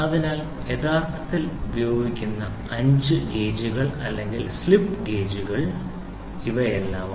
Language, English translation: Malayalam, So, these are the 5 grades gauges grades or slip gauges which are used in real time